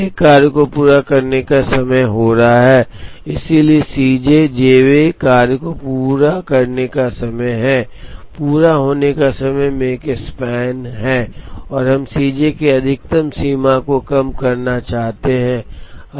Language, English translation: Hindi, There are n jobs each is going to have a completion time, so C j is the completion of the j th job, the maximum of the completion times is the Makespan and we want to minimize the maximum of C j